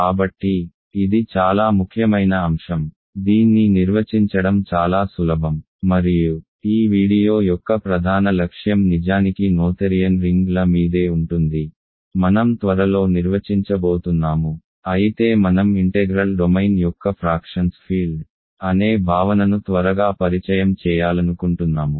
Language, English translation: Telugu, So, this is a very important concept, it is very easy to define this and the primary focus of this video is actually going to be noetherian rings that I will define soon, but I want to quickly introduce the notion of field of fractions of an integral domain